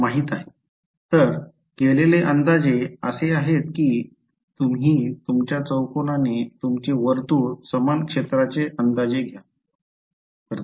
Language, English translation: Marathi, So, the approximation made is approximate your circle sorry your square by a circle of the same area